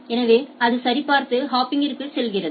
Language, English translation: Tamil, So, it checks and go to the hop